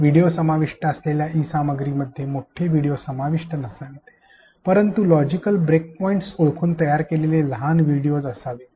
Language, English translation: Marathi, E content comprising videos should not include long videos, but short videos after identifying logical breakpoints